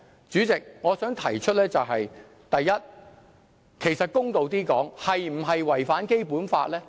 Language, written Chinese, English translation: Cantonese, 主席，我想提出的是，第一，公道一點來說，這是否違反《基本法》呢？, President what I want to ask is firstly to be fair is it in contravention of the Basic Law?